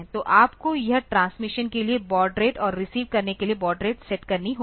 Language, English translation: Hindi, So, you have to set the baud rate for this transmission and the baud rate for receiving